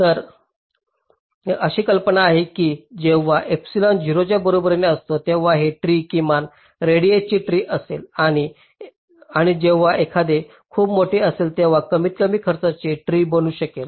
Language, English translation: Marathi, so the idea is that when epsilon is equal to zero, this tree will be the minimum radius tree and when it is very large, it will tend to become the minimum cost tree